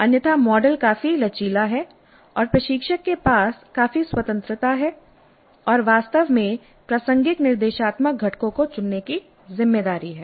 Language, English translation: Hindi, Otherwise the model is quite flexible and instructor has considerable freedom and in fact responsibility to choose relevant instructional components